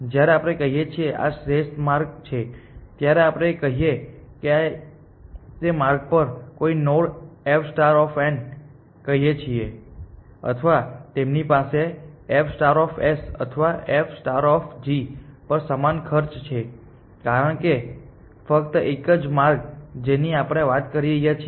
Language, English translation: Gujarati, When we say this is optimal path then whether we say f star of n any node on that path or f star of start or f star of goal they have the same cost because this is only one path that we are talking about